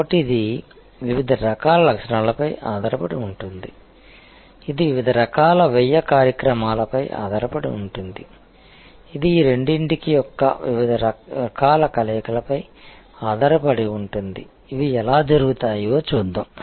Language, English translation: Telugu, So, it could be based on different types of features, it could be based on different types of cost initiatives, it could be based on different types of combinations of these two, let us look at how these are done